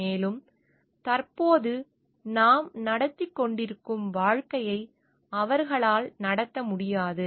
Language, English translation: Tamil, And they will not be able to lead a life, which is of that, that we are leading at present